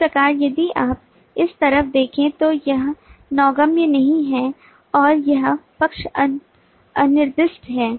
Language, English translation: Hindi, so here, if you look into this, this side is not navigable and this side is unspecified